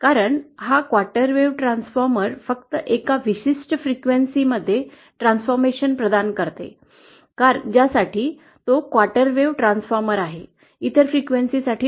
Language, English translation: Marathi, Because this quarter wave transformer will provide the transformation only at a particular frequency, the frequency for which it is a quarter wave transformer and not for other frequencies